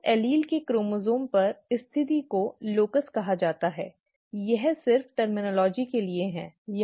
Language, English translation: Hindi, The position on the chromosome of that allele is actually called a locus, this is just for the terminology, okay